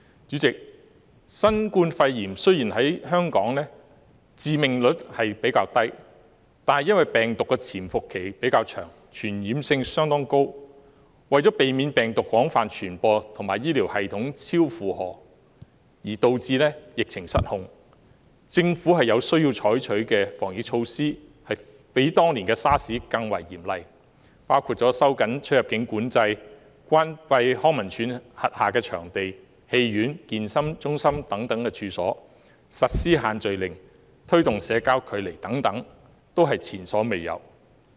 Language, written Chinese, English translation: Cantonese, 主席，雖然新冠肺炎在香港的致命率比較低，但因為病毒的潛伏期比較長而傳染性相當高，為了避免病毒廣泛傳播及醫療系統超負荷而導致疫情失控，政府有需要採取比當年 SARS 更為嚴厲的防疫措施，包括收緊出入境管制、關閉康樂及文化事務署轄下的場地、戲院、健身中心等處所、實施限聚令及推動保持社交距離等，都是前所未有的措施。, President the fatality rate of the novel coronavirus pneumonia in Hong Kong is relatively low but it has a relatively long incubation period and is highly transmissible . To prevent the spread of the virus and the health care system from being overloaded which will cause the epidemic to go out of control it is necessary for the Government to adopt anti - epidemic measures stricter than those adopted during the SARS period . Measures including tightening immigration control closure of venues under the Leisure and Cultural Services Department and premises such as cinemas and fitness centres implementing the order to prohibit group gatherings and promoting social distancing are unprecedented